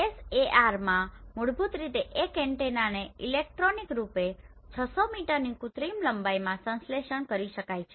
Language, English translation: Gujarati, In SAR basically what happens the 1 meter antenna can be synthesized electronically into a 600 meter synthetic length